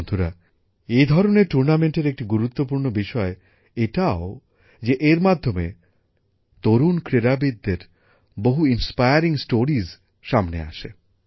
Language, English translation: Bengali, Friends, a major aspect of such tournaments is that many inspiring stories of young players come to the fore